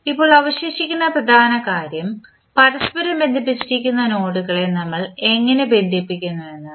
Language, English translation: Malayalam, Now, the important thing which is still is left is that how we will co relate the nodes which are connect, which are adjacent to each other